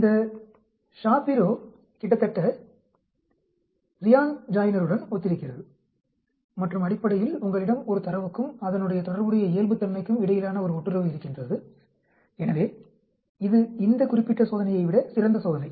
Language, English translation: Tamil, This Shapiro Wilk is almost similar to Ryan Joiner and basically you are having a correlation between the data and the corresponding normal, so it is a better test than this particular